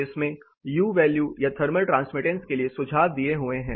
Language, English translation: Hindi, It has recommendations for U value that is thermal transmittance